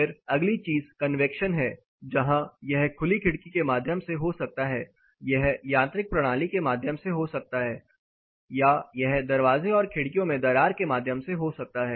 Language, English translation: Hindi, Then the next thing is convection, where it can happen through open window or it can happen through mechanical system or it can happen through cracks in the doors and windows